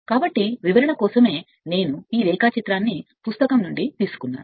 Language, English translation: Telugu, So, this is just for the sake of explanation I have taken this diagram from a book right